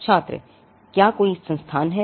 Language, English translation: Hindi, Student: Is there some institute